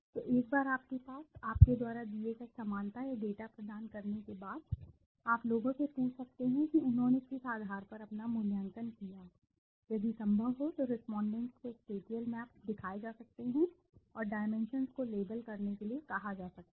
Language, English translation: Hindi, So once you have, after providing the similarity or data people have given to you then you can even ask the people on what basis did they make their evaluations, if possible respondents can be shown the spatial maps and asked to label the dimensions